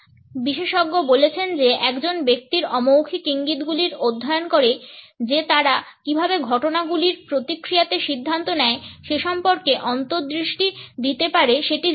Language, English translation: Bengali, Expert says study in a person’s nonverbal cues can offer insight into how they make decisions in react to events